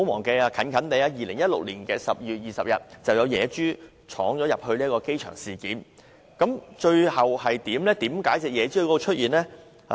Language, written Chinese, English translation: Cantonese, 最近，於2016年12月20日便有野豬闖入機場，最後如何處理？, On 20 December 2016 a wild pig wandered into the Airport how was it handled in the end?